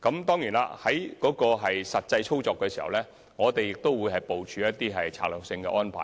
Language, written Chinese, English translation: Cantonese, 當然，實際操作時，我們會部署一些策略性安排。, Certainly in actual operation we will make strategic arrangements